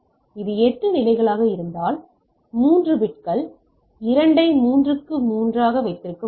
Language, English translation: Tamil, So, if it is eight level so I can have 3 bits 2 to the power 3 is 8 right